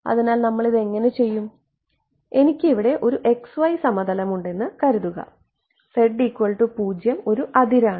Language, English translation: Malayalam, So, how will we do this is let us say that I have a xy plane is denoted over here, z is equal to 0 is an interface ok